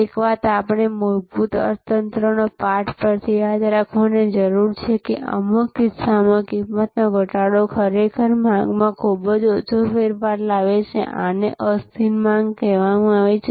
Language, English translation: Gujarati, One thing, we have to remember from fundamental economies lesson than that in some case, a reduction in prices will actually cause very little change in the demand, this is called the inelastic demand